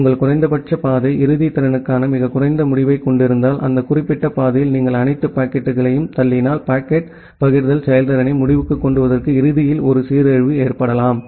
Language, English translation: Tamil, If your minimum path has a very low end to end capacity and if you push all the packets in that particular path, then there can be a degradation in end to end packet forwarding performance